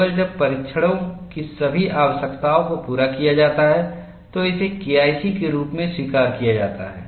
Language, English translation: Hindi, Only when all the requirements of the test are met, it is accepted as K1C